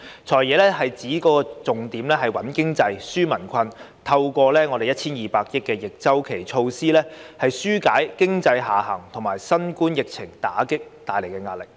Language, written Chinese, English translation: Cantonese, "財爺"指預算案的重點是穩經濟、紓民困，透過 1,200 億元的逆周期措施，紓解經濟下行及新冠疫情打擊帶來的壓力。, According to FS the Budget focuses on stabilizing the economy and relieving peoples burden . It aims to alleviate the pressure caused by the economic downturn and the Coronavirus Disease COVID - 19 epidemic through the introduction of counter - cyclical measures costing 120 billion